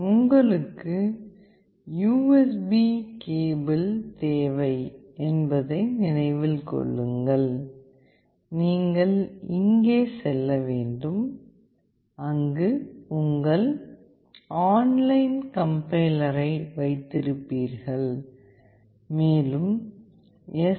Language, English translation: Tamil, Please remember that you need the USB cable, you need to go here where you will have your online complier and you have to also make sure that the STM driver is installed